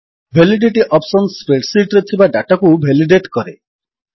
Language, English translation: Odia, The Validity option validates data in the spreadsheet